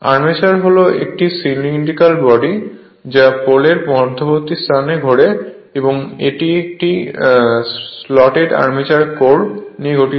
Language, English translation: Bengali, The armature is a cylindrical body rotating in the space between the poles and comprising a slotted armature core